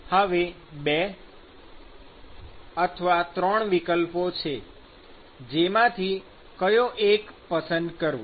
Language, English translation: Gujarati, I have two options now, which one should I choose